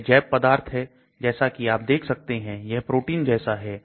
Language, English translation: Hindi, This is a biological product as you can see it is like a protein